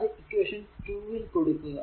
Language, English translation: Malayalam, This is your equation 2